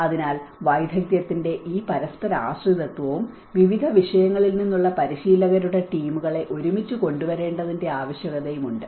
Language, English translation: Malayalam, So, this interdependency of expertise and the need to bring together teams of practitioners from different disciplines